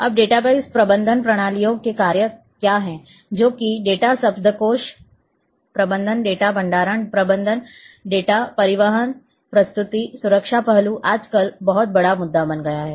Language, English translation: Hindi, Now, what are the functions of database management systems, that data dictionary management data storage management data transportation presentation, security aspects nowadays has become very big issue